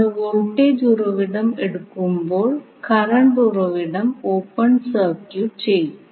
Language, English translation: Malayalam, So, when you take the voltage source your current source will be open circuited